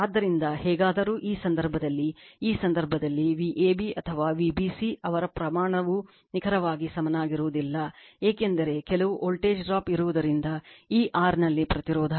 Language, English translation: Kannada, So, anyway, so in this case your, what you call in this case V ab or V bc, their magnitude not exactly equal to the your what you call the because there is some voltage drop will be there in this R in the resistance right